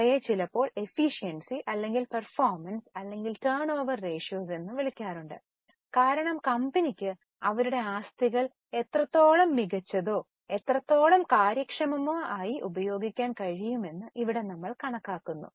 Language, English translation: Malayalam, They are sometimes also called as efficiency or performance or turnover ratios because here we calculate how better or how efficiently the company is able to utilize their assets